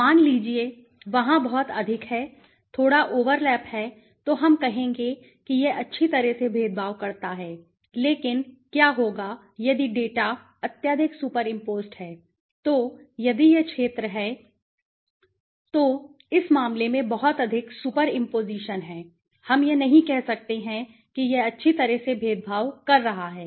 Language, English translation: Hindi, Suppose, there is a too much of there is a little overlap then we will say that it discriminates well, but what if the data is highly you know super imposed so if this is the area then it is too much of super imposition in this case we cannot say that it is discriminating well, right